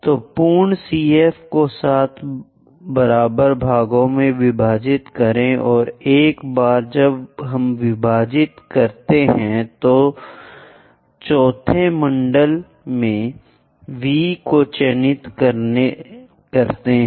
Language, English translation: Hindi, So, divide the complete CF into 7 equal parts 7 parts we have to divide and once we divide that into 7 parts mark V at the fourth division from centre C